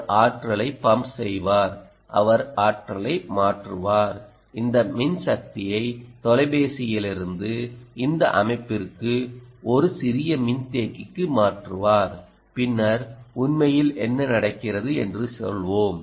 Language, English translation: Tamil, she will transfer energy, transfer power, from this phone to this system, on to a small capacitor, and then let's say what actually happens